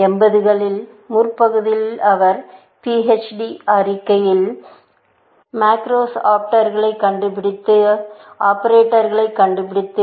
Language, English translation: Tamil, His PHD thesis, which was in the earlier 80s, was finding macros, operators